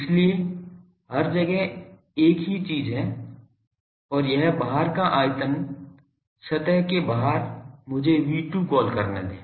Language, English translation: Hindi, So, everywhere there are the same thing and this outside volume, outside of the surface let me call V2